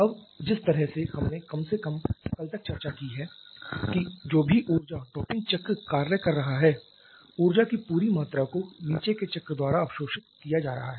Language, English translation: Hindi, Now the way we have discussed so far at least yesterday that whatever energy the topping cycle is rejecting the entire amount of energy is getting absorbed by the bottoming cycle